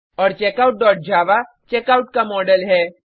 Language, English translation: Hindi, And Checkout.java is a checkout model